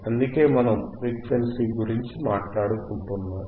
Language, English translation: Telugu, That is why we talk about frequency, frequency, frequency